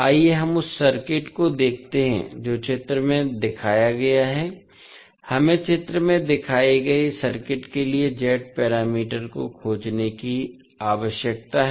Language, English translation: Hindi, Let us see the circuit which is given in the figure we need to find out the Z parameters for the circuit shown in the figure